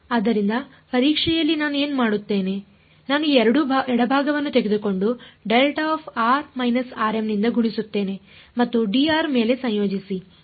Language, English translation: Kannada, So, in testing what will I do I will take this left hand side and multiplied by delta of r minus r m and integrate over d r